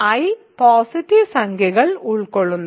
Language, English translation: Malayalam, So, I contains a positive integer